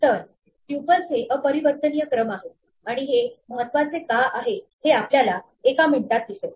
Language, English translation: Marathi, So, tuples are immutable sequences, and you will see in a minute why this matters